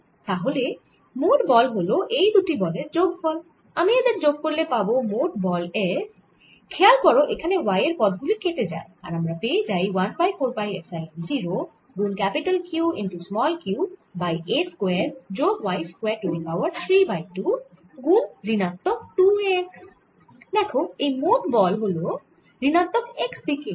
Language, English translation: Bengali, if i sum these two, the net force f therefore comes out to be notice that the terms involving y cancel out and i get equal to one over four pi epsilon zero, q q over a square plus y square raise to three by two, times minus two a x